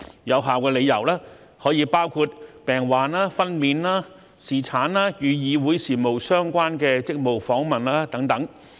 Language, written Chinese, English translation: Cantonese, 有效理由可包括病患、分娩、侍產、與議會事務相關的職務訪問等。, Valid reasons may include illness maternity paternity and Council business - related duty visits